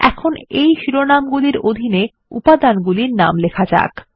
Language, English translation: Bengali, Now, lets enter the names of the components under the heading